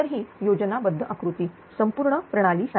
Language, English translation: Marathi, So, this is a schematic diagram as a whole for the system